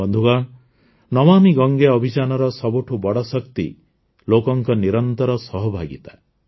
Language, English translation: Odia, Friends, the biggest source of energy behind the 'Namami Gange' campaign is the continuous participation of the people